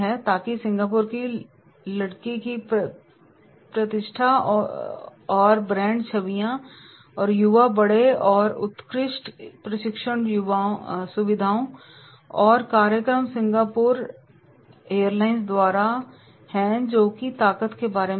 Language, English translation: Hindi, Strengths are the reputation and brand images of the Singapore girl, young fleet and excellent training facilities and programs by the Singapore airlines that is about the strengths are there